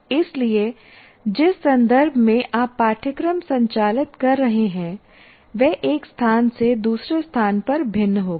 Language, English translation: Hindi, So the context in which you are conducting a course will be different from one place to the other